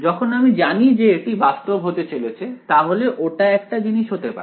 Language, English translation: Bengali, When I know it is going to be real, that could be one thing